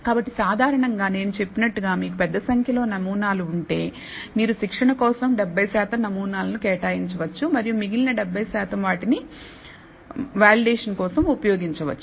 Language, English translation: Telugu, So, typically as I said if you have a large number of samples, you can set apart 70 percent of the samples for training and the remaining 30 percent, we can use for validation